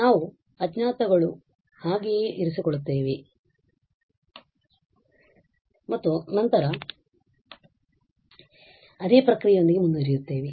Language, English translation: Kannada, So, we will just keep those unknowns as it is and then proceed with the same process